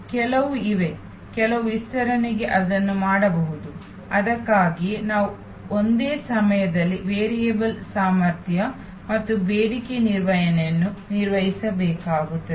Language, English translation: Kannada, There are some, to some extend it can be done; that is why we have to often manage variable capacity and demand management at the same time